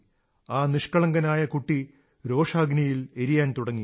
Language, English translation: Malayalam, This innocent boy had started to burn in the fire of anger